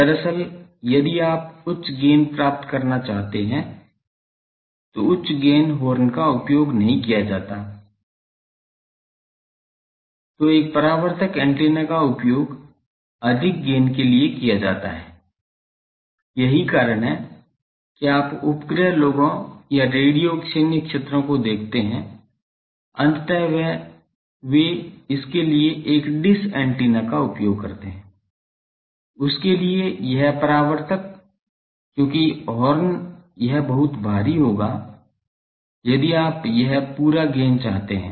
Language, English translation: Hindi, Actually, if you want to produce higher very higher gains horn is not used, then a reflector antenna is used to have more gain that is why you see satellite people or radio military people ultimately they use a dish antenna for that, this reflector for that, because horn it will be very bulky if you want to have that whole this gain by the horn